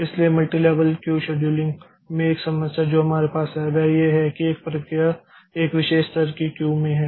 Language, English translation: Hindi, So, in multi level Q scheduling, one problem that we had is that one process, so a process is that is there in the in a particular level of Q